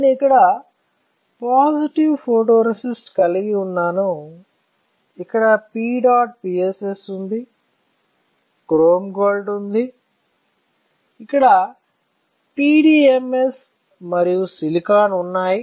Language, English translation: Telugu, So, what I have here positive photoresist, then I have here P dot PSS, I have chrome gold, then I have PDMS and there is silicon right